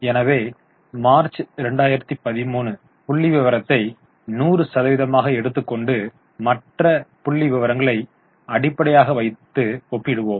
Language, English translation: Tamil, So, we will take March 13 figure as 100 and compare other figures as a percentage to that base